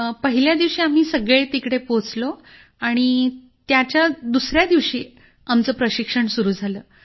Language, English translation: Marathi, On the first day sir we all went there… our training started from the second day